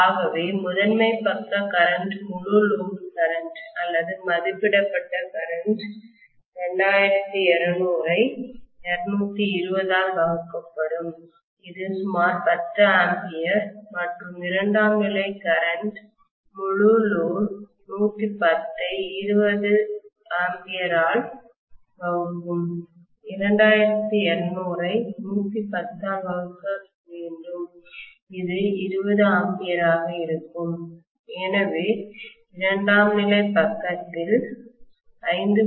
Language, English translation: Tamil, So the primary side current full load current or rated current will be 2200 divided by 220 which is about 10 ampere and secondary current, full load will be 110 divided by 20 ampere, 2200 divided by 110 which will be 20 amperes, so I should say in all probability I should be connecting a load of 5